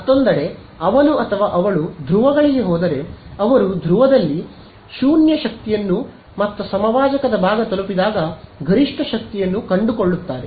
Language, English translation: Kannada, On the other hand if he or she went to the poles, what would they find that when they reach the pole 0 power and maximum power on the equator right